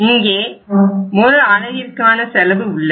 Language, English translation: Tamil, Then we take the unit cost